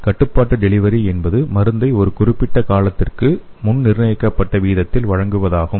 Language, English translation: Tamil, The control delivery is which deliver the drug at a pre determined rate for a specified period of time